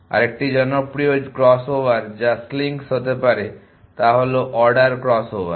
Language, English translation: Bengali, Another popular cross over to be slinks is the order cross over